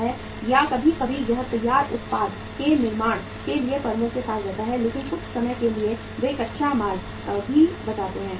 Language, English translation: Hindi, Or sometime it remains with the firms for manufacturing the finished product but sometime they tend to sell the raw material also